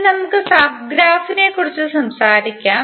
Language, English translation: Malayalam, Now let us talk about the sub graph